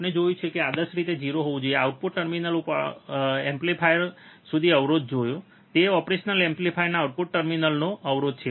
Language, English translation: Gujarati, We have seen ideally it should be 0, resistance viewed from the output terminal to the operation amplifier; that is resistance from the output terminal of the operational amplifier